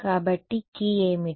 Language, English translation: Telugu, So, what will be the key